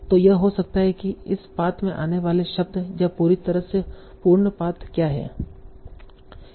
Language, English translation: Hindi, So it can be maybe what are the words that are occurring in this path or what is the complete path altogether